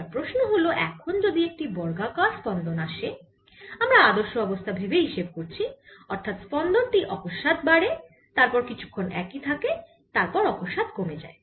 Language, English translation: Bengali, so the question is: suppose there's a square pulse, we are taking idealization where the pulse suddenly rises, becomes a constant and goes down